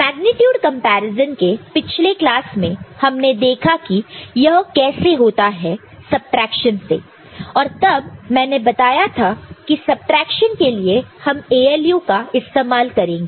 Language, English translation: Hindi, In the last class for magnitude comparison we have seen that how to get it done through subtraction, right and so, we told at the time that ALU will be using subtraction for that